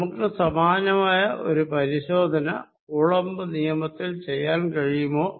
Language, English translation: Malayalam, Can we do a similar thing to check Coulombs law